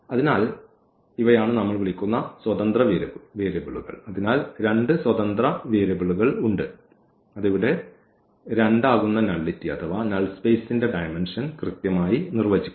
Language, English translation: Malayalam, So, these are the free variables which we call, so there are two free variables and that will define exactly the nullity or the dimension of the null space that will be 2 here